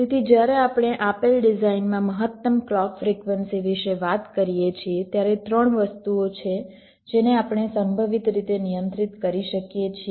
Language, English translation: Gujarati, ok, so when we talk about the maximum clock frequency that you can have in a given design, there are three things that we can possibly control